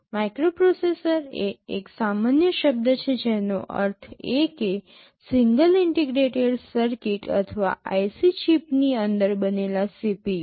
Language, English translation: Gujarati, Microprocessor is a general term which means a CPU fabricated within a single integrated circuit or IC chip